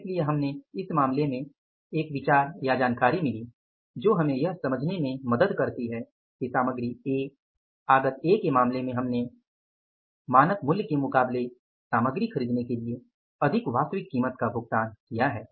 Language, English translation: Hindi, So, in case of the first we got an idea or the information helps us to understand that in case of the material A, input A, we have paid more actual price for buying the material as against the standard price